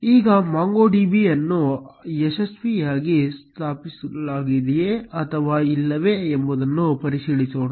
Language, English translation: Kannada, Now, let us check whether MongoDB has been successfully installed or not